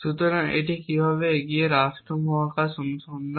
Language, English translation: Bengali, So, how it forward state space search